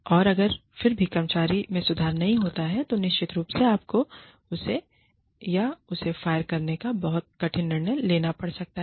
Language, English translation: Hindi, And, if still the employee does not improve, then of course, you may have to take, the very difficult decision of, firing her or him